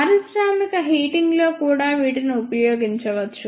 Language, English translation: Telugu, They can also be used in industrial heating